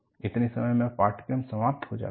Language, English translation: Hindi, By the time, the course ends